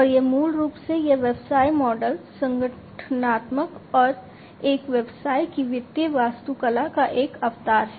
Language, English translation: Hindi, And it is basically this business model is an embodiment of the organizational and the financial architecture of a business